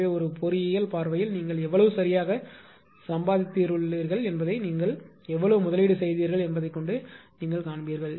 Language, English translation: Tamil, So, as an engineering point of view you will see that how much you have invested at how much you have earned right